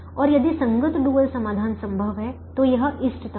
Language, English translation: Hindi, and if the corresponding dual solution is feasible, then it is optimum